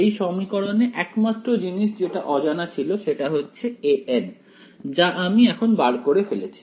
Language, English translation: Bengali, In this equation the only thing unknown was a ns which I have evaluated now